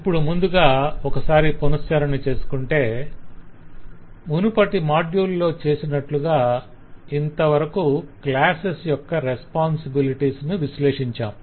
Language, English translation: Telugu, now just a quick recap of the broad steps as we have already analyzed the responsibilities of the classes like we did in the last module